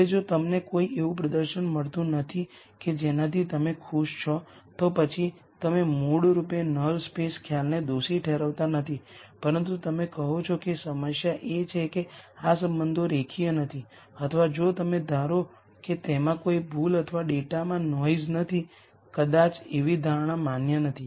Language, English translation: Gujarati, Now if you are not getting a performance that you are happy with then you basically do not blame the null space concept, but you say maybe the problem is that these relationships are not linear or if you assume that there is no error or noise in the data maybe that assumption is not valid